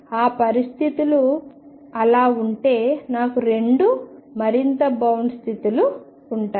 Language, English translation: Telugu, If that is the case in that situation I will have two bound states